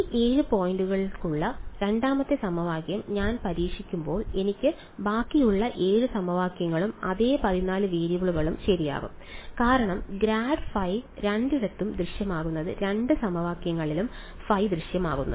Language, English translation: Malayalam, So, that gives me when I test the 2nd equation with these 7 points I will get the remaining 7 equations and the same 14 variables right, because grad phi is appearing in both places phi is appearing in both equations right